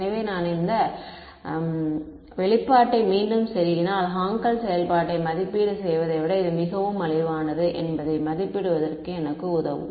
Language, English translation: Tamil, So, if I plug this expression back into this that is I mean that is what will help me evaluating this is much cheaper than evaluating Hankel function right